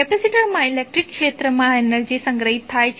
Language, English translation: Gujarati, Capacitor is stored energy in the electric field